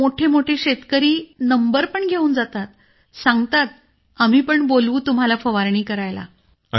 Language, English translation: Marathi, Those who are big farmers, they also take our number, saying that we would also be called for spraying